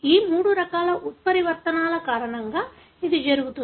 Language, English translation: Telugu, This happens because of these three different kinds of mutations